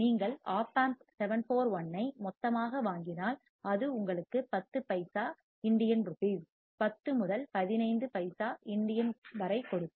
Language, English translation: Tamil, If you buy Op Amp 741 in a bulk it will give you about 10 INR, 10 to 15 INR per piece